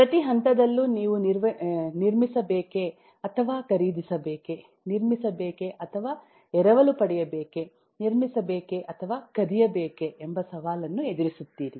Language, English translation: Kannada, at every point you are faced with a challenge of whether to build or to buy, whether to build or to borrow, whether to build or to steal